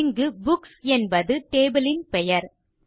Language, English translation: Tamil, Here Books is the table name